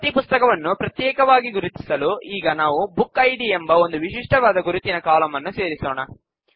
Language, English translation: Kannada, To distinguish each book, let us also add a unique identifier column called BookId